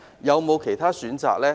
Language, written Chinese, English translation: Cantonese, 有否其他選擇呢？, Are there any other alternatives?